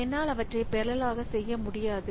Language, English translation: Tamil, So, I cannot do them in parallel